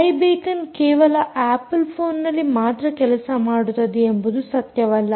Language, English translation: Kannada, it isnt true that i beacon works only on apple phones